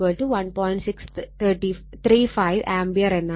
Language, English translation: Malayalam, 635 ampere right